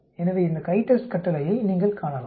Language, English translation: Tamil, So you can see this CHI TEST command